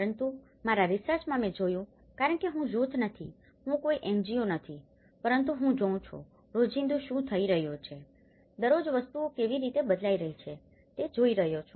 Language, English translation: Gujarati, But in my research, I looked because I am not a group, I am not an NGO, but I am looking at everyday what is happening every day, how things are changing every day